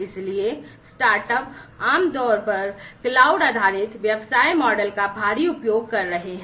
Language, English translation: Hindi, So, start startups typically are heavily using the cloud based business model